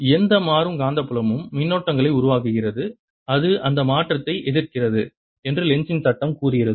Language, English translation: Tamil, lenz's law says that any changing magnetic field produces currents in such a manner that it opposes that change